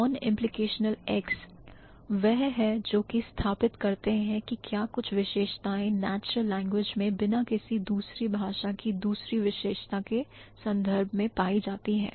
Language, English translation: Hindi, So, non implicationals are those which can state whether certain properties are found in natural language without reference to any other property of the given language